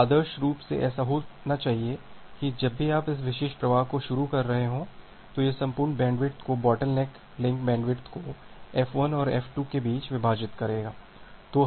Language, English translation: Hindi, So, ideally what should happen that well whenever you are starting this particular flow, it will it will the entire bandwidth the bottleneck link bandwidth will be divided between F1 and F2